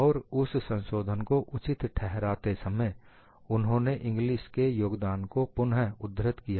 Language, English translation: Hindi, And while justifying their modification, they again bring in the contribution by Inglis